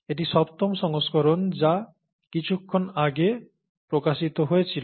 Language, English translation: Bengali, This is the seventh edition which came out a while ago